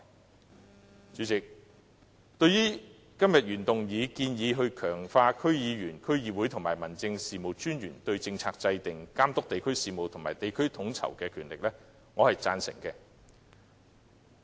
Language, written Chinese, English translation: Cantonese, 代理主席，對今天原議案建議強化區議員、區議會和民政事務專員對政策制訂、監督地區事務及地區統籌的權力，我是贊成的。, Deputy President I agree with the proposals made in the original motion for strengthening the powers of DC members DCs and District Officers to formulate policies supervise district affairs and carry out coordination among districts